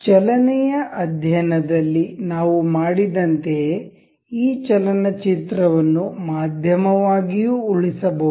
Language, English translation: Kannada, Similar to like that we have done in this motion study, we can also save this movie as a media